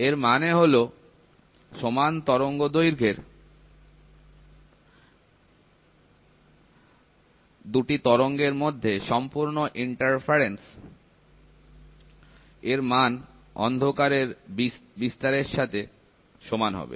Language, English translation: Bengali, This means that complete interference between the 2 waves having the same wavelength and the amplitude produces darkness